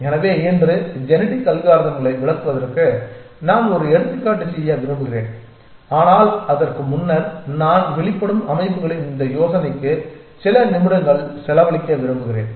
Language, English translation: Tamil, So, I want to do one example of to illustrate genetic algorithms today, but before that I want to sort of spend few minutes on this idea of emergent systems essentially